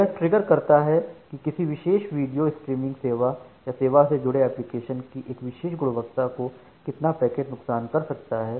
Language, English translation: Hindi, So it triggers that how much packet loss the a particular video streaming service or a particular quality of service associated application can sustain